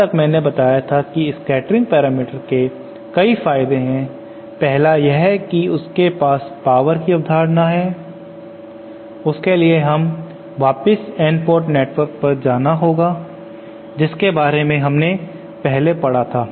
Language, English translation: Hindi, Now scattering parameters as I said have several advantages, 1 is that they have the concept of power so let us go back to that N port network which we had talked about earlier